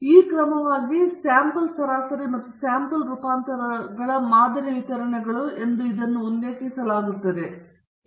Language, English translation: Kannada, So, these are referred to as the sampling distributions of the sample mean and sample variance respectively